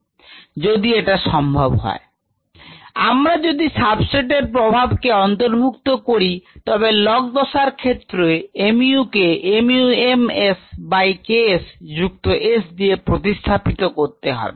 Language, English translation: Bengali, if it is possible, if we incorporate the effect of the substrate for the log phase, the mu needs to be replaced by mu m s, by k s plus s